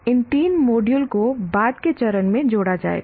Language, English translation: Hindi, These three modules will be added at a later stage